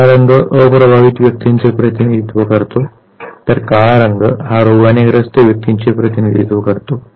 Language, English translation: Marathi, The blue color represents unaffected individuals, whereas the black color represents individuals affected by the disease